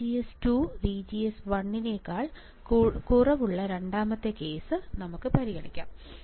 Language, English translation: Malayalam, Let us consider second case where VGS 2 is less than VGS 1